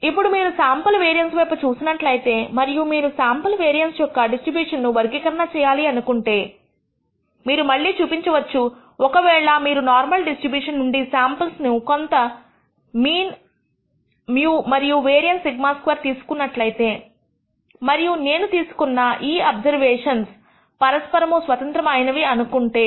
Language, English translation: Telugu, Now, if you look at the sample variance and want to characterize the distribution of the sample variance, we can show again if you draw samples from the normal distribution with some mean mu and variance sigma squared and these observations I am going to assume are mutually independent